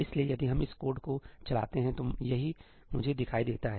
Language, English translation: Hindi, So, if we run this code, this is what I see